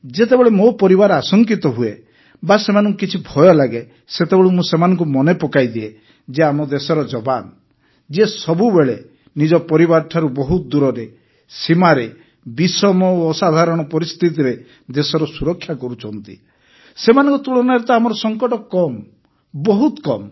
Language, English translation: Odia, Sometimes when our family members are apprehensive or even a little scared, on such an occasion, I remind them that the soldiers of our country on the borders who are always away from their families protecting the country in dire and extraordinary circumstances, compared to them whatever risk we undertake is less, is very less